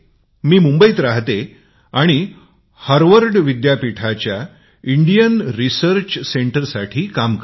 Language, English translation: Marathi, I am a resident of Mumbai and work for the India Research Centre of Harvard University